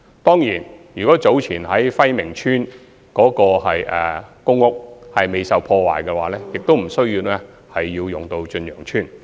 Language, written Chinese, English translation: Cantonese, 當然，如果暉明邨早前未受破壞，亦不需要使用駿洋邨。, Of course if Fai Ming Estate was not damaged earlier we do not need to use Chun Yeung Estate